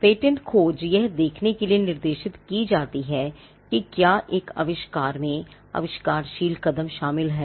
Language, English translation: Hindi, Patentability searches are directed towards seeing whether an invention involves an inventive step